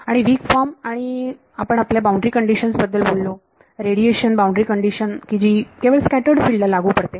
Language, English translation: Marathi, And weak form and we spoke about our boundary condition radiation boundary condition which is the applicable only to scattered field